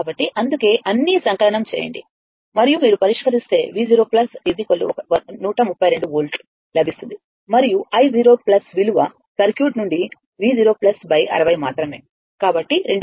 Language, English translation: Telugu, So, that is why, all sum it up right and if you solve this V 0 plus 132 volt right and i 0 plus is equal to from the circuit only V 0 plus by 60